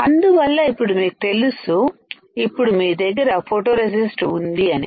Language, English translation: Telugu, So, now, you know that you have the photoresist